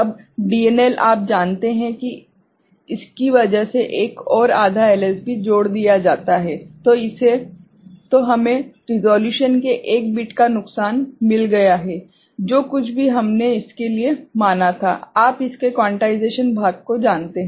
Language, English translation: Hindi, Now, DNL is you know adding another half LSB because of this, then we have got a one bit loss of resolution right, whatever we had considered for the you know the quantization part of it